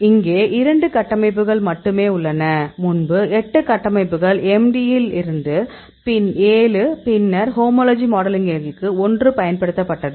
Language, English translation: Tamil, So, now, here we have only 2 structures; earlier we used 8 structures; 7 from MD and then 1 from the homology modeling